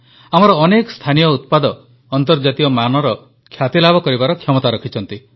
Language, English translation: Odia, Many of our local products have the potential of becoming global